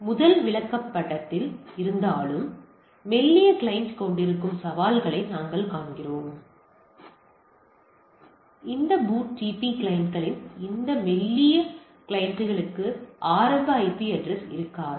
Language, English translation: Tamil, So, though there are in first chart we see that the challenges that is having a thin client and this thin client of this BOOTP clients may not have the initially the IP address, but you see there are if there is centrally manage things